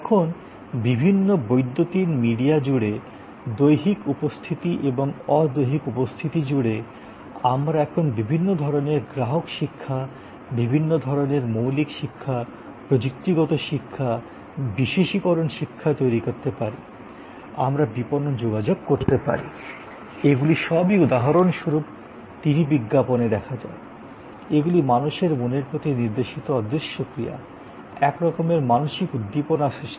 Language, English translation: Bengali, So, we have across different electronic media, across physical presents and non physical presents, we can now create different kind of customer education, different kind of basic education, technical educations, specialize education, we can do marketing communication, these are all or a TV ad for example, these are all intangible action directed at minds of people, sort of mental stimulus creation